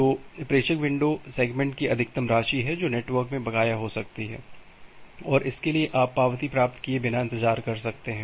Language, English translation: Hindi, So, the sender window is the maximum amount of segments that can be outstanding in the network and for that you can wait without getting an acknowledgement